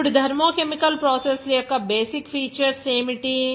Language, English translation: Telugu, Now, what are the basic features of the thermochemical processes